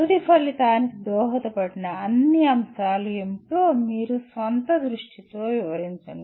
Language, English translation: Telugu, You capture in your own view what are all the factors that contributed to the end result